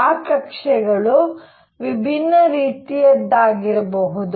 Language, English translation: Kannada, That orbits could be of different kinds